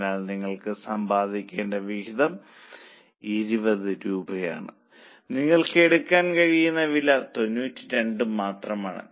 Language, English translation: Malayalam, So, contribution which you are supposed to earn is 20 rupees and the price which you can quote is only 92